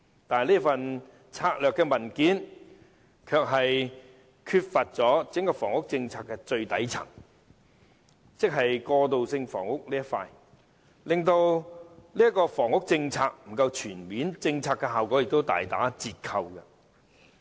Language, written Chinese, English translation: Cantonese, 可是，這份策略文件的範疇卻欠缺了整個房屋政策的最底層，即過渡性房屋，令整個房屋政策不夠全面，效果也大打折扣。, However the most fundamental stratum of the entire housing policy viz . transitional housing was absent from this document thus making the housing policy incomprehensive as a whole with much of its efficacy compromised as well